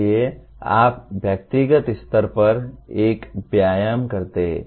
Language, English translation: Hindi, So you do an exercise at individual level